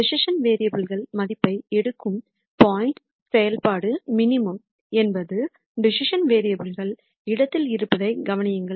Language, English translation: Tamil, Notice that the point at which the decision variables take values such that the function is a minimum is also in the decision variable space